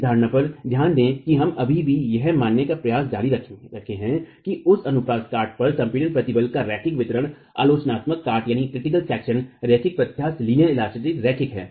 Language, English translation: Hindi, Mind you in this assumption we are still continuing to assume that the linear distribution of compressive stresses at that cross section, the critical section is linear elastic, is linear